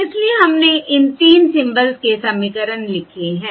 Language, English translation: Hindi, So we have written the equations for these 3 symbols